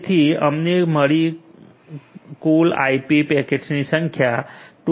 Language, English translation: Gujarati, So, total number of IP packet in we have received 277